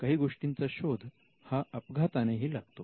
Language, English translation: Marathi, Things that are discovered by accident